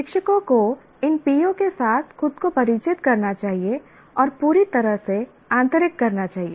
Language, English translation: Hindi, Now what happens is the teachers should familiarize themselves and with these POs and completely internalize